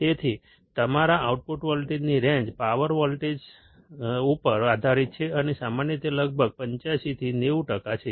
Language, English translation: Gujarati, So, the range of your output voltage depends on the power supply voltage, and is usually about 85 to 95 percent